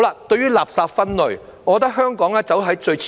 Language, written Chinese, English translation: Cantonese, 對於垃圾分類，我認為香港走在最前面。, I think Hong Kong is at the forefront of waste separation